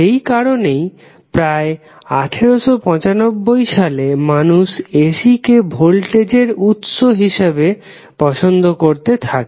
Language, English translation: Bengali, So, that is why finally around 1895 people accepted AC as a preferred voltage source